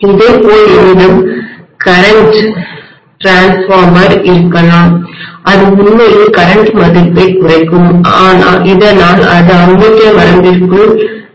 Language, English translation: Tamil, Similarly, I may have current transformer which will actually bring down the current value, so that it is falling within the ammeter range